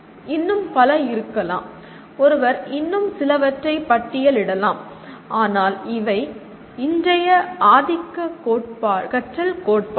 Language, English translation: Tamil, There can be, one can maybe list some more but these are the present day dominant learning theories